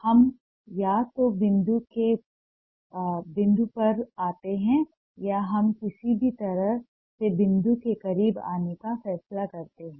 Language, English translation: Hindi, we either come back to the point or we decide to come close to the point in whatever way